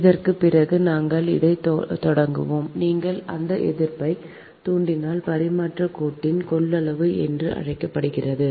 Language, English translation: Tamil, start for this thing is that that your what you call that ah, resistance, inductance, capacitance of the transmission line